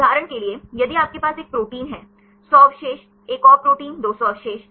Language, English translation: Hindi, For example, if you have 1 proteins; 100 residues, another proteins 200 residues